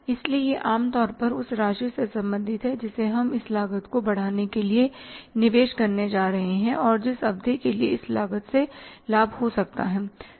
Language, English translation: Hindi, So it is normally related to the amount we are going to invest for incurring this cost and the period for which the benefit of this cost can be had